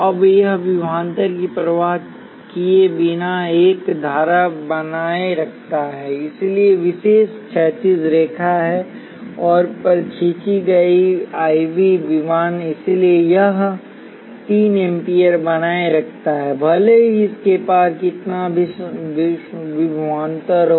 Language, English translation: Hindi, Now it maintains a current regardless of the voltage so the characteristic is the horizontal line and drawn on the I V plane, so it maintains 3 amperes regardless of what voltage is across it